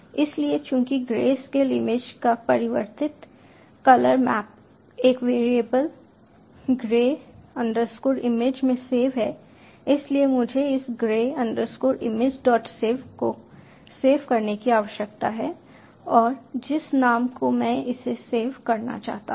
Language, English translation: Hindi, so since the converted colour map of the grey scale image is stored in a variable grey underscore image, i need to save this grey underscore image dot save and the name